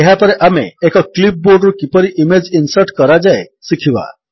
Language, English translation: Odia, Next we will learn how to insert image from a clipboard